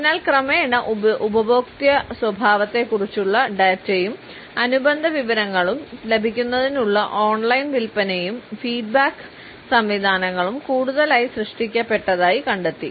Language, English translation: Malayalam, So, gradually we find that increasingly online sales and feedback systems for getting data and related information about the customer behaviour were generated